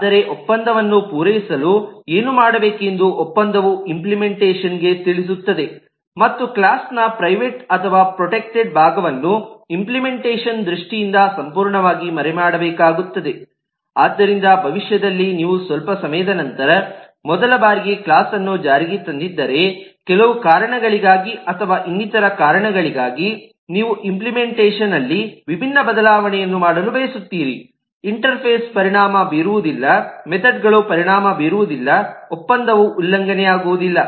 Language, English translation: Kannada, but the contract will tell the implementation as to what needs to be done to fulfill the contract and the implementation will need to be completely hidden in terms of the private eh protected part of the class so that if in future, from the time that you have implemented the class for the first time sometime later, you want to make a different change in the implementation for some reason, of the other interface will not get affected, the methods will not get affected, the contract will not get violated and in that process the user would be able to continue using your object without any difficulty, even though the implementation is not eh, is eh not maintained to be the same